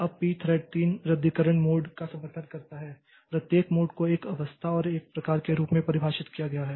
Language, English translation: Hindi, Now, p thread supports three cancellation modes, each mode is defined as a state and a type